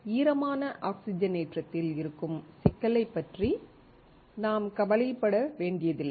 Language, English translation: Tamil, We do not have to worry about complexity in wet oxidation